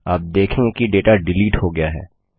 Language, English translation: Hindi, You see that the data gets deleted